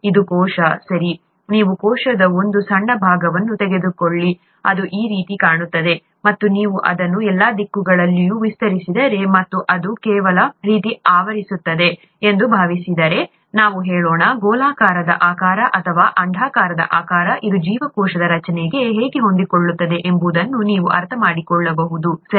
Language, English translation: Kannada, This is a cell, right, you take a small part of the cell, it look like this, and if you extend it in all directions and assume that it is covering some sort of let us say, a spherical shape or an oval shape, then you can understand how this fits in into the structure of the cell, right